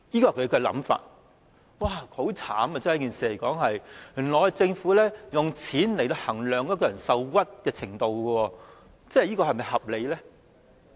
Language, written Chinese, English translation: Cantonese, 說起也很淒慘，原來政府是用金錢來衡量一個人受屈的程度，這樣是否合理？, If we talk about this this is really pathetic . It turns out that the Government measures the extent to which someone is aggrieved in money terms . Is this reasonable?